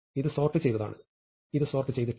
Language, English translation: Malayalam, So, this is sorted, and this is unsorted